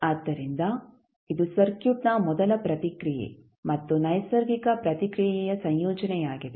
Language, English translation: Kannada, So, this is nothing but a combination of first response and natural response of the circuit